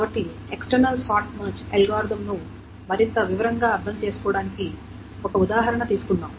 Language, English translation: Telugu, So, let us take an example to understand the external short march algorithm in more detail